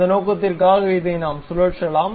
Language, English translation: Tamil, So, for that purpose, we can really rotate this